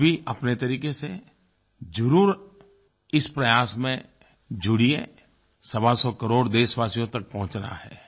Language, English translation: Hindi, You too get connected with this initiative, we have to reach 125 crore Indians